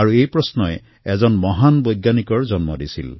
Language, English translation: Assamese, The same question gave rise to a great scientist of modern India